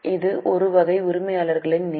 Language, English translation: Tamil, This is a type of owner's fund